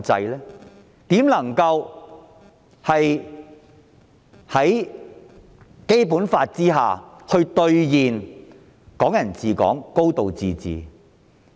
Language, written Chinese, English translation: Cantonese, 如何能夠在《基本法》下兌現"港人治港"、"高度自治"呢？, How could we realize the principle of Hong Kong people administering Hong Kong and a high degree of autonomy under the Basic Law?